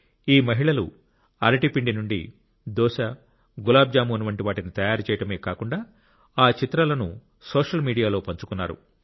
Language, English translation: Telugu, These women not only prepared things like dosa, gulabjamun from banana flour; they also shared their pictures on social media